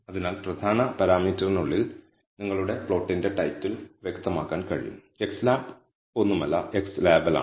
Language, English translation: Malayalam, So, inside the parameter main you can specify the title of your plot, xlab is nothing, but x label